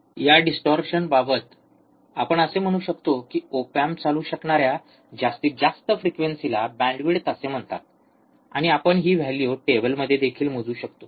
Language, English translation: Marathi, At this distortion, right we can say that, the maximum frequency at which the op amp can be operated is called bandwidth, and we can also measure this value in table